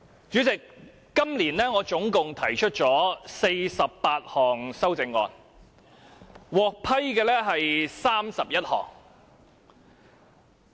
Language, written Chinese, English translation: Cantonese, 主席，我今年總共提出48項修正案，獲批准的有31項。, Chairman this year I have proposed 48 amendments in total of which 31 were approved